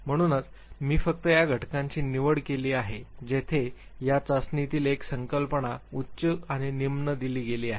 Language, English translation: Marathi, So, I have chosen only those factors where one of the concepts in this very test is given of high and low